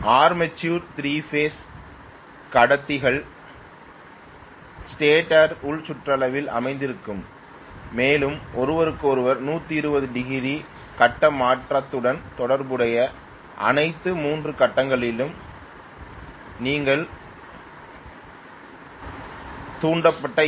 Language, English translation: Tamil, Armature will have 3 phase conductors located in the inner periphery of the stator and you are going to get induced EMF in all the 3 phases corresponding to 120 degree phase shift from each other because they are placed at 120 degrees away from each other